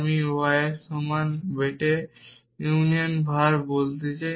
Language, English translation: Bengali, I want say return bete union var equal to y